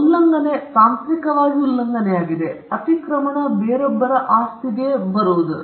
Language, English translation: Kannada, Infringement technically means trespass; trespass is getting into the property of someone else